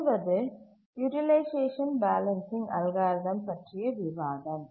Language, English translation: Tamil, We will look only at the utilization balancing algorithm